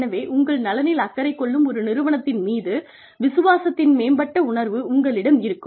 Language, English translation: Tamil, So, there is an enhanced sense of loyalty, to an organization, that looks after your comfort levels